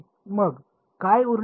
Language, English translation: Marathi, So, what is left then